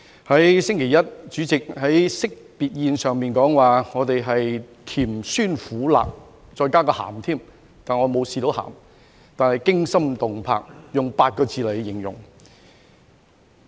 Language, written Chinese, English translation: Cantonese, 在星期一，主席在惜別宴上說我們經歷"甜酸苦辣"，再加個鹹，但我沒有嘗到鹹，但是"驚心動魄"，用8個字來形容。, On Monday President said at the End - of - term Dinner that we had experienced sweetness sourness bitterness and spiciness not forgetting saltiness but I had not tasted saltiness . Instead I tasted fear confidence drive and fortitude